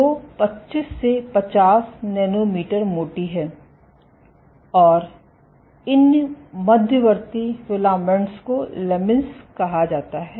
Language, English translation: Hindi, So, this is 25 to 50, nanometer thick and these intermediate filaments are called lamins